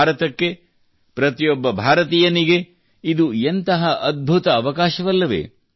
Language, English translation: Kannada, What a great opportunity has come for India, for every Indian